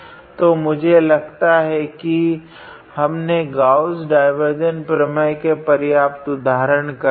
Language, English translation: Hindi, So, I think we have practiced enough examples on Gauss divergence theorem